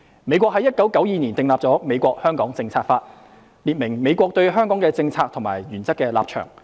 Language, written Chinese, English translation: Cantonese, 美國於1992年訂立了《美國―香港政策法》，列明美國對香港的政策和原則立場。, The United States enacted in 1992 the United States - Hong Kong Policy Act which sets out its policy and principled positions towards Hong Kong